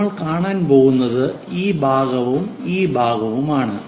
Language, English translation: Malayalam, So, what we are going to see is this one